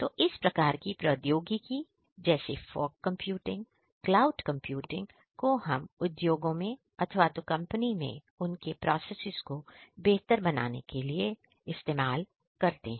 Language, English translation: Hindi, So, all of these technologies the fog computing, the cloud computing all of these technologies could be very well adopted in this particular company to improve their processes